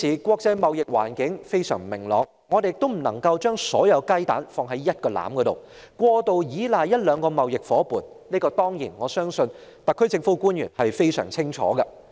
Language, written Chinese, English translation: Cantonese, 國際貿易環境現時非常不明朗，我們不能把所有雞蛋放在同一個籃子，或過度依賴一兩個貿易夥伴，而我相信特區政府官員非常清楚這一點。, The global trade environment is extremely uncertain now . We cannot put all our eggs in one basket or excessively rely on one or two trade partners and I believe officials of the SAR Government know this full well